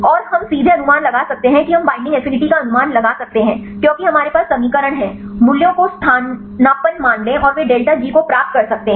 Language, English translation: Hindi, And we can also estimate directly we can estimate the binding affinity, because we have the equation get the values substitute the values and they can get delta G very simple right